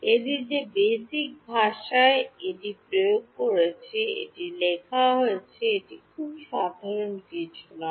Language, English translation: Bengali, It is written in the basic language in which it have implemented it, is something which is not very common ok